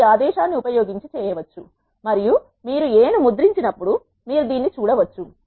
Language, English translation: Telugu, You can do that using this command and when you print A you can see this